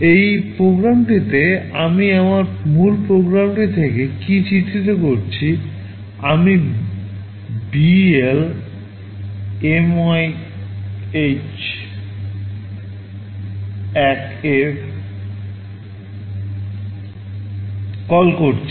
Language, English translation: Bengali, In this program what I am illustrating from my main program, I am making a call BL MYSUB1